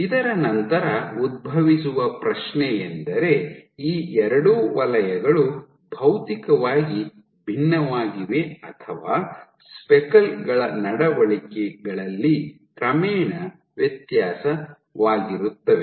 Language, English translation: Kannada, So, the question then arises that is it that these two zones are materially distinct or just as a gradual difference in the behavior of the speckles